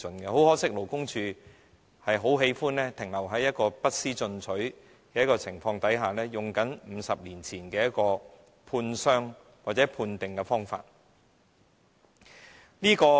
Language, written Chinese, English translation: Cantonese, 很可惜，勞工處卻喜歡停留在不思進取的情況，沿用50年前的判傷或判定方法。, Regrettably the Labour Department is so reluctant to make progress that it keeps using the 50 - year - old method in the determination of injuries